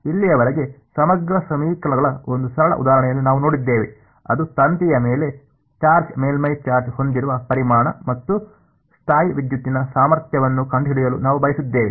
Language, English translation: Kannada, So far, we have seen one simple example of integral equations which is the, volume at the wire with the charge surface charge on it and we wanted to find out the electrostatic potential